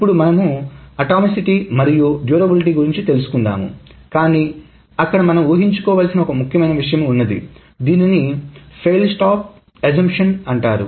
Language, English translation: Telugu, And there is, so atomicity and durability will be covered, but there is an assumption, there is an important assumption which is called a fail stop assumption